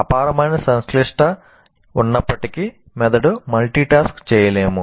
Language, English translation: Telugu, In spite of its great complexity, brain cannot multitask